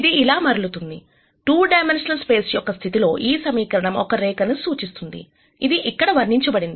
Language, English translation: Telugu, It turns out in this case of the 2 dimensional space, this equation represents a line which is depicted here